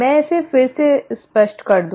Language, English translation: Hindi, Let me make this clear again